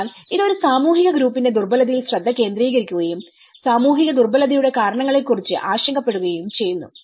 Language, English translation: Malayalam, So, it focuses on the vulnerability of a social group and is concerned with the causes of the social vulnerability